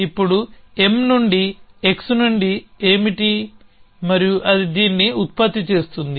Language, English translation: Telugu, Now, what that is from x from m and that will produce this